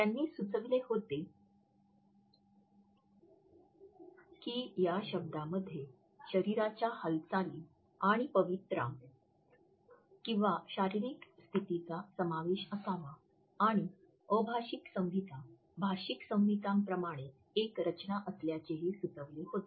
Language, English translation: Marathi, He had suggested that this term should include body movements and postures, and also suggested that non verbal codes had a structure which is similar to those of linguistic codes